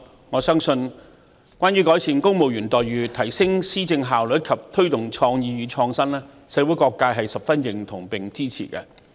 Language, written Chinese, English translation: Cantonese, 我相信關於改善公務員待遇，提升施政效率，以及推動創意與創新，社會各界是十分認同和支持的。, I believe improving the employment terms of civil servants enhancing the efficiency of policy implementation and promoting creativity and innovation are something that different sectors of society will echo and support